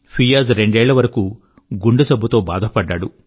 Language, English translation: Telugu, Fiaz, battled a heart disease for two years